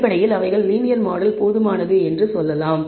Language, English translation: Tamil, Basically they say they would say that the linear model is adequate